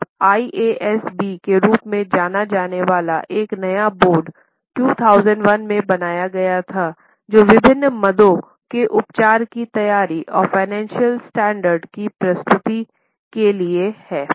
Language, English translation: Hindi, Now, a new board known as IASB was created in 2001 to prescribe the norms for treatment of various items on preparation and presentation of financial standards